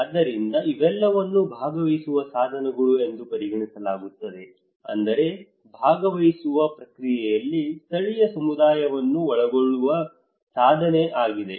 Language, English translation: Kannada, So these all are considered to be participatory tools, that means a tool to involve local community into the participatory process